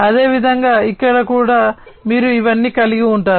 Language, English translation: Telugu, Likewise, here also you are going to have all of these